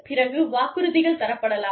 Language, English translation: Tamil, Then, there could be promises